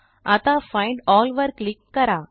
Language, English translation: Marathi, Now click on Find All